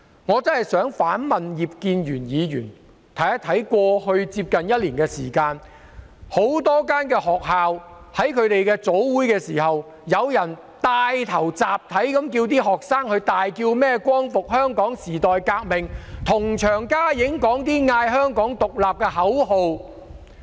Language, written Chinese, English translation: Cantonese, 我想反問葉建源議員，在過去接近一年的時間，很多學校在早會時，有人帶領學生集體大喊"光復香港時代革命"，又高呼"香港獨立"的口號。, I wish to ask Mr IP Kin - yuen in the past almost one year some people led students to chant aloud the slogan Liberate Hong Kong the revolution of our times together during the morning assembly of many schools and they also chanted the slogan Hong Kong independence